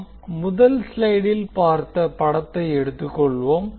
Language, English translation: Tamil, Let us consider the figure which we saw in the first slide